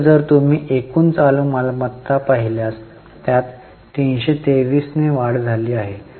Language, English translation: Marathi, So, if you look at total current assets, there is an increase of 323